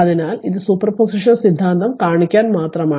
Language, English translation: Malayalam, So, it is just to show you the super position theorem